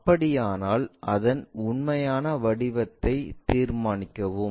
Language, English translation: Tamil, If that is the case, determine its true shape